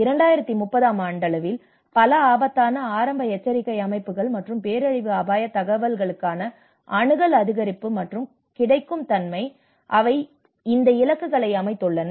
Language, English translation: Tamil, And the increase and availability of access to multi hazard early warning systems and disaster risk information by 2030, so they have set up these targets